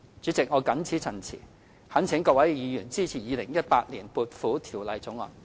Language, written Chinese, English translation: Cantonese, 主席，我謹此陳辭，懇請各位議員支持《2018年撥款條例草案》。, With these remarks President I implore Members to support the Appropriation Bill 2018